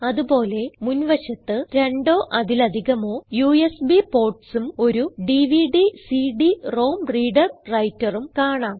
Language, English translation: Malayalam, Also, on the front side, you will notice 2 or more USB ports and a DVD/CD ROM reader writer